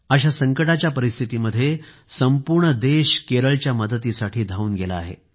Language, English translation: Marathi, In today's pressing, hard times, the entire Nation is with Kerala